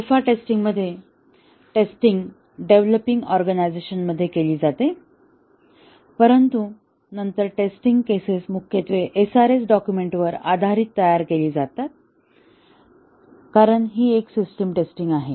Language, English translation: Marathi, In alpha testing, the testing is carried out within the developing organization, but then the test cases are largely designed based on the SRS document, because this is a system testing